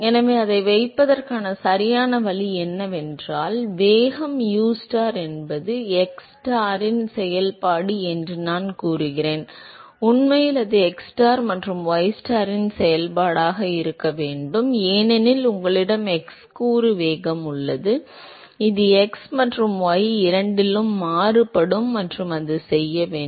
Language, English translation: Tamil, So, right way to put that is suppose I say that the velocity ustar is a function of xstar actually it has to be a function of xstar and ystar, because you have x component velocity which is varying in both x and y and it has to be a function of the Reynolds number, because that is the property of the fluid which is appearing in the equation and it has to be a function of dPstar by dxstar